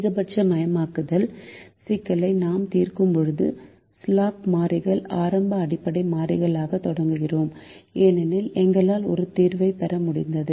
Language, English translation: Tamil, when we solved a maximization problem, we started with the slack variables as the initial basic variables because we were able to get a solution